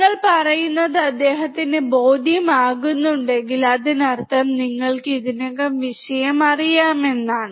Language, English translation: Malayalam, If he is convinced that what you are telling makes sense, then it means you already know the subject